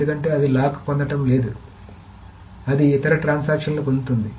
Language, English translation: Telugu, Because it is not getting the log that it wants, some other transactions are getting it